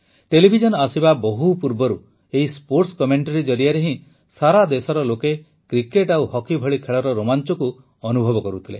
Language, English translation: Odia, Long before the advent of TV, sports commentary was the medium through which people of the country felt the thrill of sports like cricket and hockey